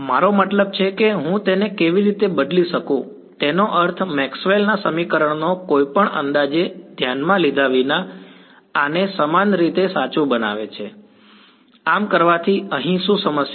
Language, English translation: Gujarati, No, I mean I how can replace it meaning Maxwell’s equations makes this to be identically true regardless of any approximation, what is the problem here by doing this